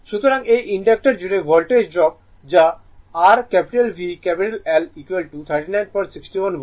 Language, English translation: Bengali, So, this is the Voltage drop across the inductor that is your V L is equal to 39